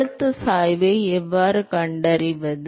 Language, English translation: Tamil, How do you find the pressure gradient